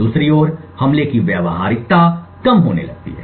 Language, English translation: Hindi, On the other hand, the practicality of the attack starts to reduce